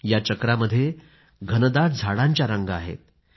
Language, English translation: Marathi, This circle houses a row of dense trees